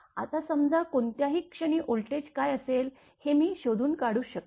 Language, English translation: Marathi, Now, suppose at any instant I can we can find out what will be the voltage